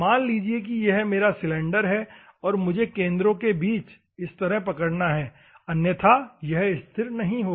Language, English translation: Hindi, Assume that this is my cylinder and I have to hold like this between the centre; otherwise, it will not stay